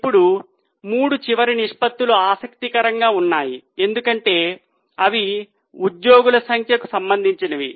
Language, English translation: Telugu, Now, there are three last ratios which are interesting because they are related to number of employees